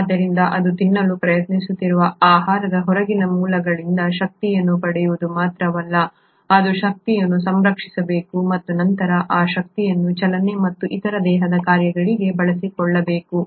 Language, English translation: Kannada, So it not only should acquire energy from outside sources such as the food which it is trying to eat, it should also conserve energy and then utilise that energy for movement and other body functions